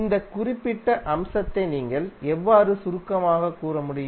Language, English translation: Tamil, So how you can summarize this particular aspect